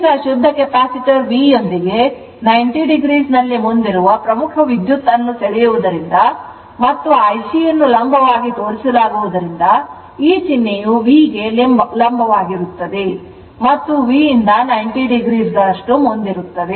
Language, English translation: Kannada, Now, since the , pure Capacitor draws a leading current at ninety degree right with V and IC is shown perpendicular this symbol is a perpendicular to V and leading by your V by 90 degree